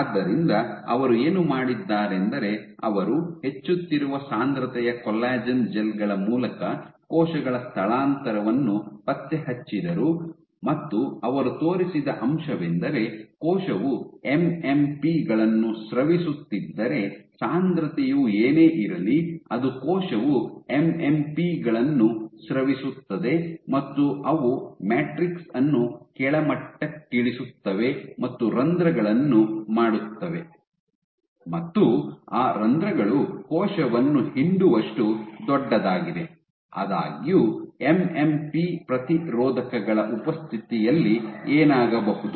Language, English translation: Kannada, So, what they did was they tracked cell migration through collagen gels of increasing concentration, and what they showed that if the cell is secreting MMPs then whatever be the concentration does not matter because the cell will secrete MMPs and they will degrade the matrix thereby making holes, which are big enough for the cell to squeeze; however, in the presence of MMP inhibitors